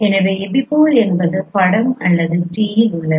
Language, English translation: Tamil, So the epipole is image is at t